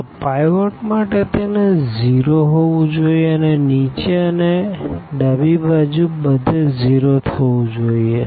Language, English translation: Gujarati, So, for the pivot it has to be 0 to the left and also to the bottom and everything to the left has to be 0